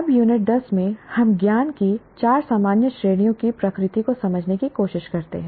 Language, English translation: Hindi, Now in Unit 10, we try to understand the nature of the four general categories of knowledge